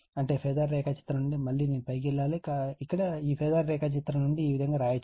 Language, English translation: Telugu, I mean from this phasor diagram, again I have to go on top right just hold on here, here from this phasor diagram